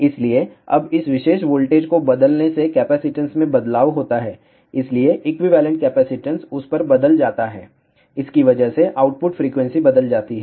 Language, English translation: Hindi, So, now by changing this particular voltage one changes the capacitance hence equivalent capacitance changes at that results in to change in the output frequency